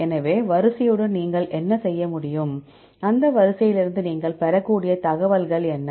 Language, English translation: Tamil, So, what can you do with the sequence, what are the information you can derive from the sequence